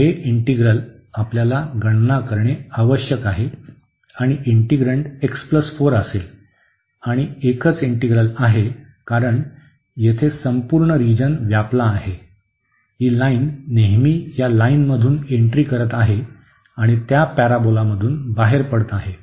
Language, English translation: Marathi, So, this integral we need to compute and the integrand will be x plus 4 and plus we have to yeah that is the only integral because we have cover the whole region here, this line is always entering through this line and exit from that parabola and then for x we have also taken from minus 1 minus 4 to 1